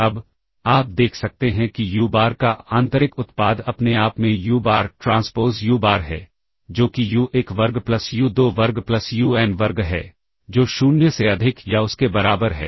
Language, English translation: Hindi, Now positive semi definite property, now you can see that the inner product of uBar with itself is uBar transpose uBar, which is u1 square plus u2 square plus un square; which is greater than or equal to 0 further